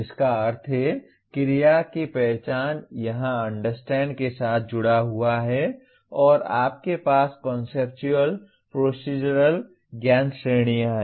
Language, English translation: Hindi, That means identify verb, here is associated with Understand and you have Conceptual, Procedural Knowledge Categories